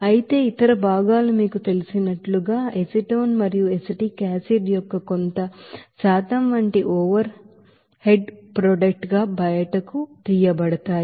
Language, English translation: Telugu, Whereas, other portions will be taken out as a you know, overhead product like some percentage of acetone and acetic acid